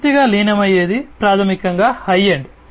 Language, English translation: Telugu, Fully immersive is high end basically